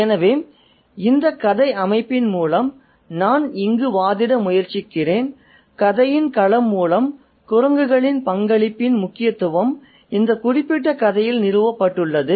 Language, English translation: Tamil, So, through the setting, what I am trying to argue here is that through the setting the significance of the role of monkeys is established in this particular story